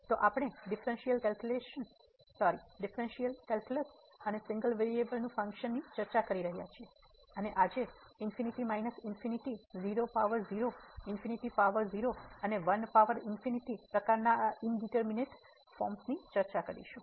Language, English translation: Gujarati, So, we are discussing differential calculus and functions of single variable, and today this indeterminate forms of the type infinity minus infinity 0 power 0 infinity power 0 and 1 power infinity will be discussed